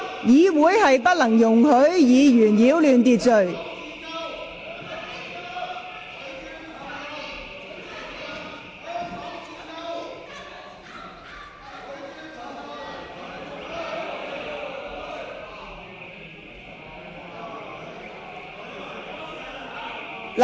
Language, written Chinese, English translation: Cantonese, 議員不得擾亂會議秩序。, Members are not allowed to disturb the order of meeting